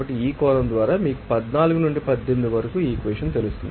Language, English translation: Telugu, So, by this perspective you know that equation from 14 to 18